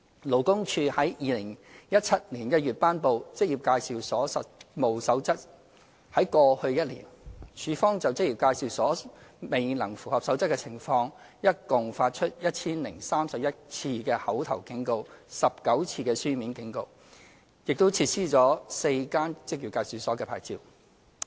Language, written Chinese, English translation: Cantonese, 勞工處在2017年1月頒布《守則》，在過去1年，處方就職業介紹所未能符合《守則》的情況，一共發出 1,031 次口頭警告 ，19 次書面警告，亦撤銷了4間職業介紹所的牌照。, Since the promulgation of the Code in January 2017 LD has over the past year served a total of 1 031 verbal warnings and 19 written warnings for non - compliance with the Code by employment agencies and revoked the licences of four employment agencies